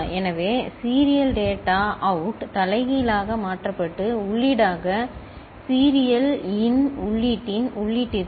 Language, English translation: Tamil, So, serial data out is inverted and fed as input to the input of serial in input